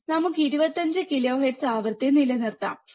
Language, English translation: Malayalam, Let us keep frequency of 25 kilohertz, alright